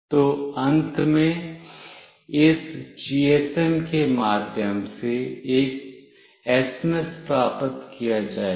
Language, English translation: Hindi, So, finally an SMS will be received through this GSM